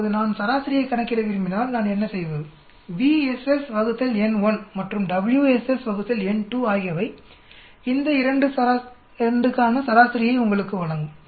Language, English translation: Tamil, Now if I want to calculate mean so what do I do, B SS divided by n 1 and W SS divided by n2 will give you the mean for these 2